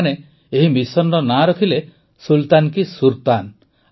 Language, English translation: Odia, They named this mission of their 'Sultan se SurTan'